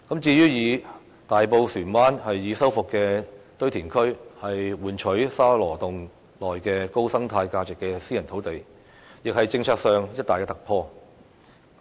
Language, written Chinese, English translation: Cantonese, 至於"以大埔船灣已修復的堆填區換取沙羅洞內具高生態價值的私人土地"的建議，亦是政策上的一大突破。, The proposal on the exchange for the private land with high ecological significance at Sha Lo Tung by offering the rehabilitated Shuen Wan Landfill in Tai Po is also a major policy breakthrough